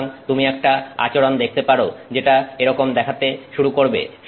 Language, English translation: Bengali, So, you may see a behavior that begins to look like that